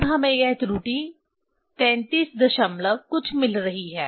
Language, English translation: Hindi, Now, error we are getting here this thirty three point something